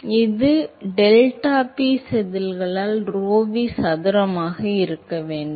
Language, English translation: Tamil, So, this should be rho v square by deltaP scales as rho V square by